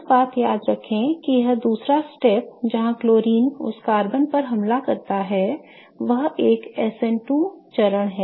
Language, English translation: Hindi, One thing to remember is that this second step where the chlorine attacks on that carbon is an SN2 step